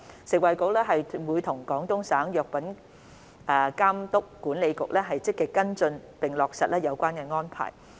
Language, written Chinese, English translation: Cantonese, 食物及衞生局會與廣東省藥品監督管理局積極跟進並落實有關安排。, The Food and Health Bureau FHB will proactively follow up with the Guangdong Medical Products Administration to implement the relevant arrangement